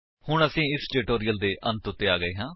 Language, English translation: Punjabi, Thus We have come to the end of this tutorial